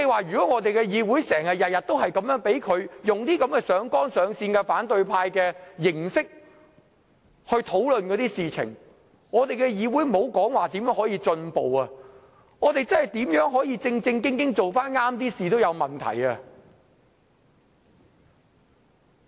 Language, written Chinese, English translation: Cantonese, 如果議會每天也出現他這種上綱上線，以反對派的形式討論事情，莫說議會如何進步，即使議會想正正經經重回正軌，也會有問題。, If the Council repeats these episodes every day and conducts its business in the opposition camps way I think it is difficult for the meeting to properly go back to the right track not to mention improving the quality of discussion